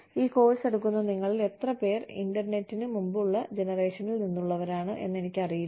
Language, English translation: Malayalam, I do not know, how many of you are, who are taking this course, are from pre internet generation